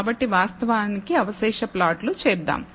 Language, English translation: Telugu, So, let us actually do the residual plot